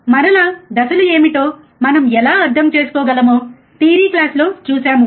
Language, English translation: Telugu, Again, we have seen in the theory class how we can understand what are the phases, right